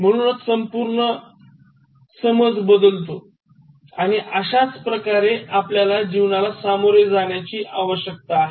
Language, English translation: Marathi, So that changes the entire perception and that is how we need to deal with life